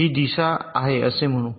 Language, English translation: Marathi, lets say this is the direction